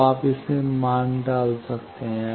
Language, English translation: Hindi, Now, you can put it the values